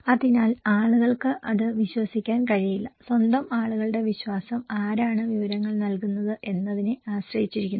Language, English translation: Malayalam, So, people cannot trust, so by own people trust depends on who are the, who is providing the information